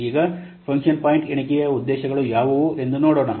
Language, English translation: Kannada, Now let's see what are the objectives of function point counting